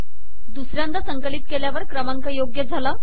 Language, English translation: Marathi, On second compilation the numbers become correct